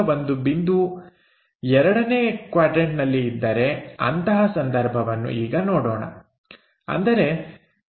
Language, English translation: Kannada, Let us look at if a point is in the 2nd quadrant; that means, the point is somewhere here A